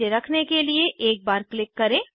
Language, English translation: Hindi, Click once to place it